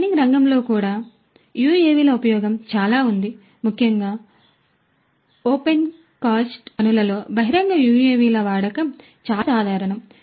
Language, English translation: Telugu, In the mining sector as well there are lots of use of UAVs particularly in opencast mines use of outdoor UAVs is very common